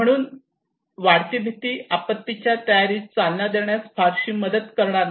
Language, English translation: Marathi, So fear, increasing fear would not help much to promote disaster preparedness right